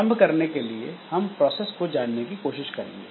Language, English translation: Hindi, To start with, we will try to define like what is a process